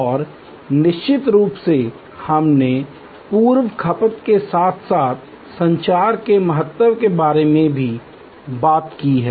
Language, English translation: Hindi, And of course, we have also talked about the importance of communication pre as well as post consumption